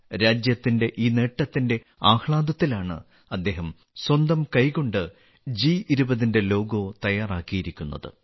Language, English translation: Malayalam, Amid the joy of this achievement of the country, he has prepared this logo of G20 with his own hands